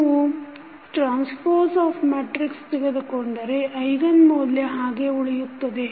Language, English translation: Kannada, So, if you take the transpose of the matrix the eigenvalues will remain same